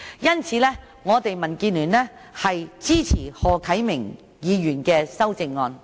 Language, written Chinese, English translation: Cantonese, 因此，我們民建聯支持何啟明議員提出的修正案。, Therefore DAB supports the amendment proposed by Mr HO Kai - ming